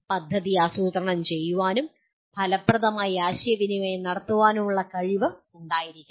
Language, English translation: Malayalam, Then come the ability to document plan and communicate effectively